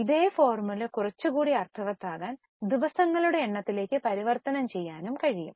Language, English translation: Malayalam, Now the same formula can be also converted into number of days to make it more meaningful